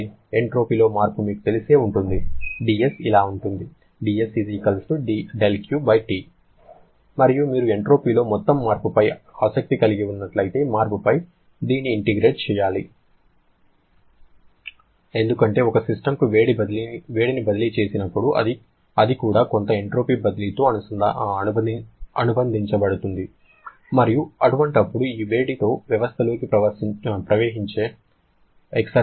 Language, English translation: Telugu, You know the change in the entropy will be equal to del Q/T and if you are interested in the total change in entropy, then we have to integrate this over the change because whenever heat is being transferred to a system, it also is associated with some entropy transfer and now how much is the exergy that flows into the system with this heat